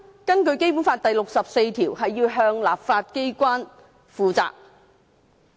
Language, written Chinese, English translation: Cantonese, 根據《基本法》第六十四條，行政機關要向立法機關負責。, Under Article 64 of the Basic Law the executive must be accountable to the legislature